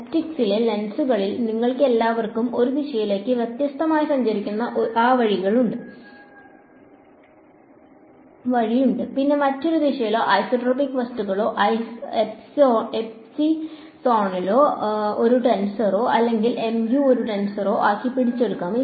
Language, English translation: Malayalam, And in lenses in optics you all we have that way of travels differently in one direction then another direction and isotropic things are there that is captured by making this epsilon into a tensor or mu into a tensor ok